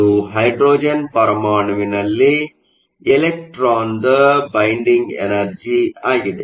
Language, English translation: Kannada, So, this is the binding energy of an electron in the hydrogen atom